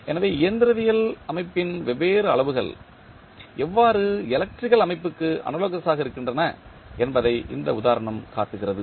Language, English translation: Tamil, So, this example shows that how the different quantities of mechanical system are analogous to the electrical system